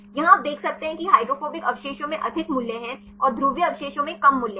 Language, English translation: Hindi, Here you can see the hydrophobic residues have more values and the polar residues have less values